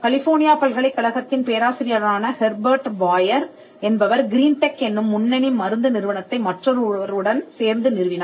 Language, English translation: Tamil, Herbert Boyer a professor from University of California co founded the company Genentech, which is one of the leading pharmaceutical companies, which involved in biotechnology today